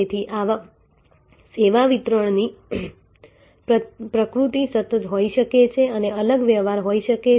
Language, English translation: Gujarati, So, there is a nature of service delivery can be continuous and can be discrete transaction